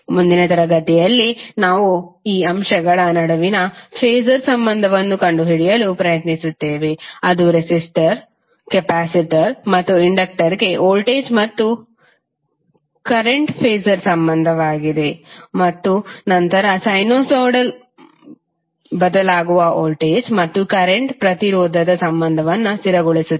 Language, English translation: Kannada, So in next class we will try to find out the phasor relationship between these elements, that is the voltage and current phasor relationship for resistor, capacitor and inductor and then we will stabilize the relationship of impedance for the sinusoidal varying voltage and current